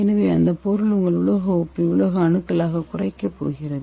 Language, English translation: Tamil, So this reducing is going to reduce your metal salt into metal atoms